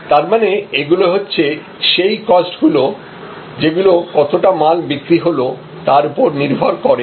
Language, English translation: Bengali, So, these are costs, which are fixed with respect to the volume of sales